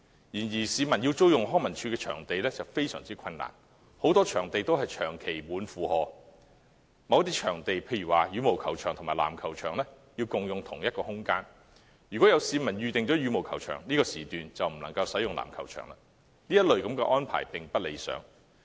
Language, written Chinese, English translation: Cantonese, 然而，市民要租用康樂及文化事務署的場地非常困難，很多場地長期約滿；某些場地如羽毛球場及籃球場要共用一個場館，如有市民預訂羽毛球場，這個時段籃球場便不能使用，這類安排並不理想。, However it is very difficult for the public to book venues managed by the Leisure and Cultural Services Department LCSD because many of them are always fully booked . At some stadia badminton court and basketball court share the same venue . If the venue has been booked as a badminton court no basketball court will be available during the very time slot